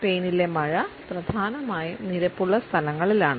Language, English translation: Malayalam, The rain in Spain stays mainly in the plane